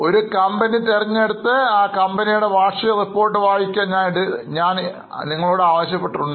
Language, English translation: Malayalam, I have already told you to select one company and read the annual report of that company